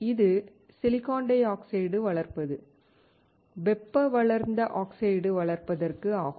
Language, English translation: Tamil, This is to grow silicon dioxide; thermal grown oxide